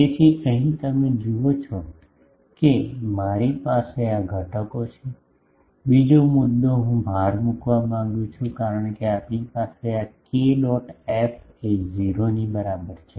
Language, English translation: Gujarati, So, here you see that I have this components, another point, I want to emphasize that since, we have this k dot f is equal to 0